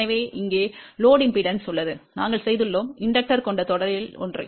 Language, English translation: Tamil, So, here is the load impedance, we added something in series which is inductor